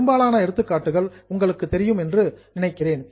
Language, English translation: Tamil, I think you all know the examples, but just have a look